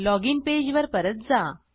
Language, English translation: Marathi, Come back to the login page